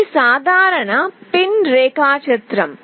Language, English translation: Telugu, This is a typical pin diagram